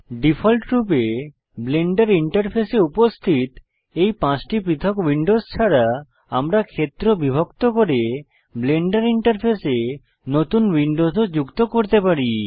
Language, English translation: Bengali, We are back to Blenders default Camera view Apart from the five different Windows which are present in the Blender interface by default, you can also add new windows to the Blender interface by dividing the area